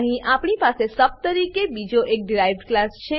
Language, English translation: Gujarati, Here we have another derived class as sub